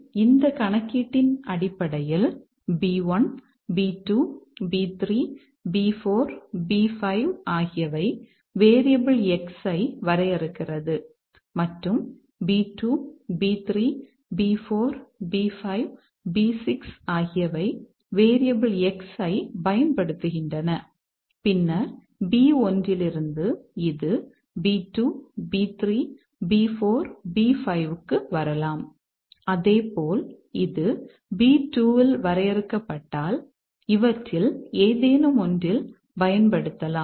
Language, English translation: Tamil, So, based on that computation, if B1, B2, B3, B5 define the variable X and B2, B4, B6 use the variable X, then we can see that from B1 it can come to B2, B3, B4, B5, similarly if it is defined in B2 it can also be used in any of these